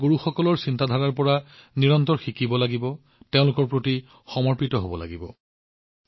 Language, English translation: Assamese, We have to continuously learn from the teachings of our Gurus and remain devoted to them